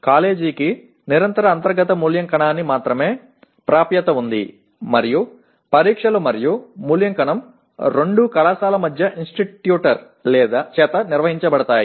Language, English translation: Telugu, Whereas the college has only access to Continuous Internal Evaluation and both the tests as well as evaluation is conducted by the college or by the institructor